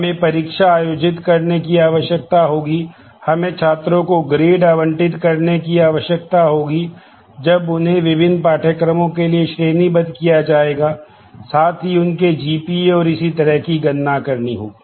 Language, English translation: Hindi, We will need to conduct examinations, we will need to assign grades to students when they are graded for different courses and compute their GPA and so on